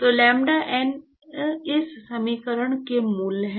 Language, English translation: Hindi, So, lambda n are the roots of this equation